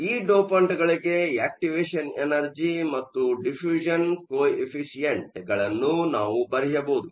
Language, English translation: Kannada, We can have we will write down the values for the activation energy and diffusion co efficient for these dopants